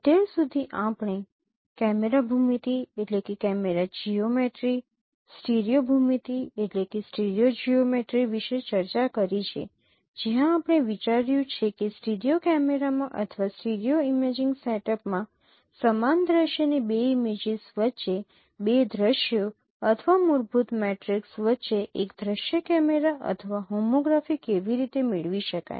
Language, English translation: Gujarati, So, we discussed about camera geometry, stereo geometry and where we considered that how to obtain the projection matrix of a single view camera or homography between two scenes or fundamental matrix between two scenes, two images of the same scene in a studio camera or in a stereo imaging setup